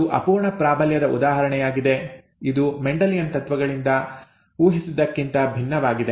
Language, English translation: Kannada, This is an example of incomplete dominance which is different from that predicted from Mendelian principles